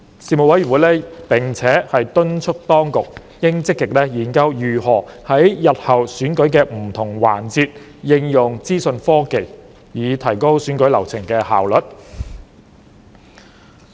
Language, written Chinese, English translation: Cantonese, 事務委員會並且敦促當局應積極研究如何在日後選舉的不同環節應用資訊科技，以提高選舉流程的效率。, The Panel also urged the authorities to proactively study ways to use information technology in different aspects of future election process so as to enhance the efficiency of the election process